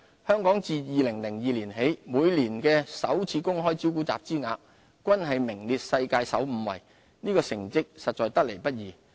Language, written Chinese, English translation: Cantonese, 香港自2002年起每年首次公開招股集資額均名列世界首5位，這成績實在得來不易。, We have been among the worlds top five in IPO fundraising since 2002 . Such achievements do not come easily